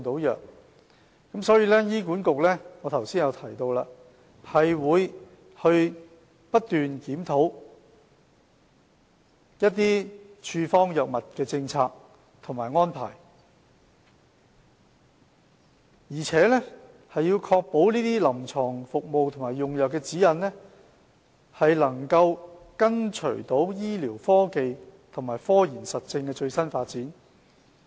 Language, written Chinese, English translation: Cantonese, 因此，正如我剛才提到，醫管局會不斷檢討處方藥物的政策及安排，並確保臨床服務和用藥指引，能緊隨醫療科技和科研實證的最新發展。, For that reason as I have mentioned just now that HA would constantly review the policies and arrangements for prescription of drugs so as to ensure that its clinical services and drug utilization can keep up with the latest development of medical technology and scientific evidence